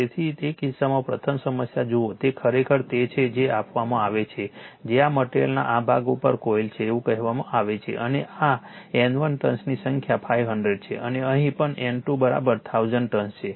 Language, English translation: Gujarati, So, in that case first you see the problem it is actually what is given that your you have to this is one your what you call this is coil is own on this on this part of this material right and number of turns N 1 is 500 and here also N 2 is N 2 is equal to 1000 turns right